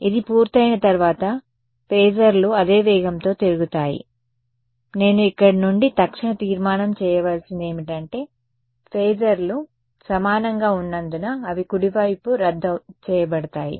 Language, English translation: Telugu, The phasors will rotate at the same speed once this is done, what do I have to I mean the immediate conclusion from here is because the phasors are equal they can get cancelled off right right